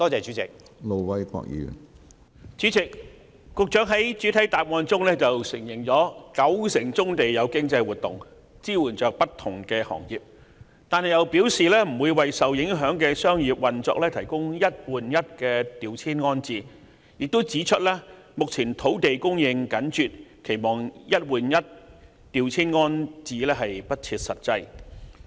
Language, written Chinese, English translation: Cantonese, 主席，局長在主體答覆內承認九成棕地有經濟活動，支援不同行業，但卻表示不會為受影響的商業運作提供"一換一"調遷安置，又指出目前土地供應緊絀，期望當局提供"一換一"調遷安置是不切實際。, President while the Secretary has admitted in the main reply that 90 % of brownfield sites are used for economic activities supporting different industries he has pointed out that the one - on - one reprovisioning arrangements would not be provided to the affected business operations and that given the land scarcity at present it would be unrealistic to expect the Government to offer one - on - one reprovisioning